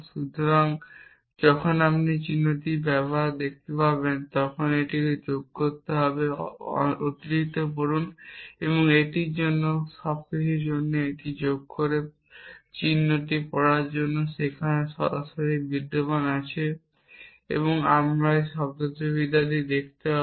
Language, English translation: Bengali, So, it is to additional to when you see this symbol additional read it is for all it additional to read the symbol is there exists directly we will see the semantics of this as he go